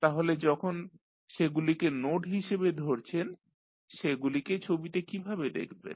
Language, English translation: Bengali, So, when you represent them as a node how you will show them in the figure